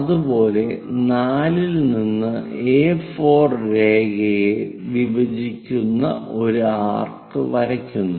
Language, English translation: Malayalam, Similarly, from 4 draw an arc which goes intersect A4 line